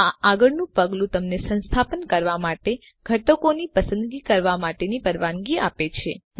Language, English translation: Gujarati, This next step allows you to choose components to install